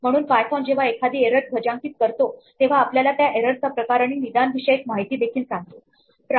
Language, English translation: Marathi, So, python when it flags an error tells us the type of error and some diagnostic information